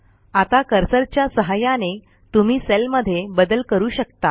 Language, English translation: Marathi, Now by navigating the cursor, you can edit the cell as per your requirement